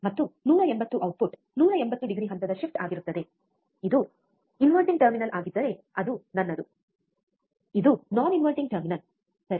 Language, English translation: Kannada, And the output will be 180 degree phase shift, which is my if it is a non inverting terminal, this is non inverting terminal, right